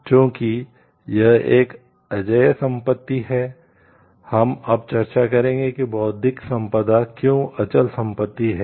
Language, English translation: Hindi, Because it is an intangible property, now we will discuss why intellectual property is a intangible property